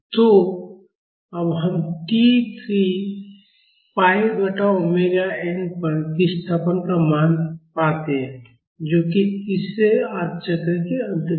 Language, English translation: Hindi, So, now, let us find out the value of the displacement at t is equal to 3 pi by omega n, that is at the end of the third half cycle